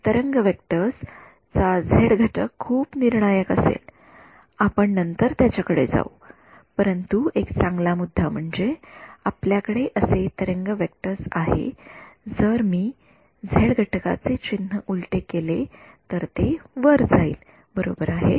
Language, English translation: Marathi, The z component of the wave vectors will be very crucial we will come to it subsequently, but that is a good point I mean you have a wave vector that is going like this if I flip the sign of the z component it will just go up right that is was